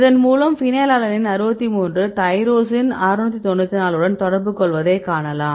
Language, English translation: Tamil, So, you can see these phenylalanine 63 is interacting with tyrosine 694